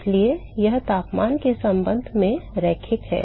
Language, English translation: Hindi, So, it is linear with respect to temperature right